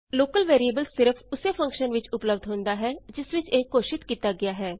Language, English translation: Punjabi, A local variable is available only to the function inside which it is declared